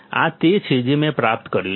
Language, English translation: Gujarati, This is what I have derived